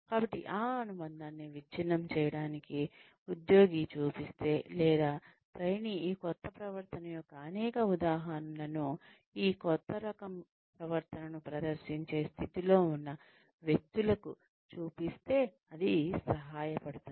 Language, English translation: Telugu, So, in order to break that association, it will help, if the employee is shown, or the trainee is shown, several instances of this new behavior, by people, who are in a position, to exhibit this new type of behavior